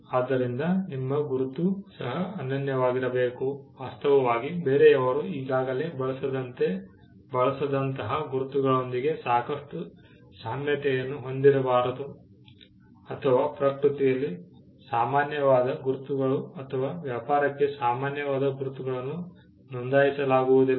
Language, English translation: Kannada, So, your mark had to be unique, in fact marks which are overlapping with other, marks or marks which are generic in nature, or marks which are common to trade cannot be registered